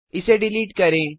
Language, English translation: Hindi, Let us delete this